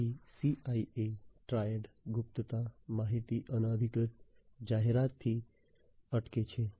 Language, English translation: Gujarati, So, confidentiality in the CIA Triad stops from unauthorized disclosure of information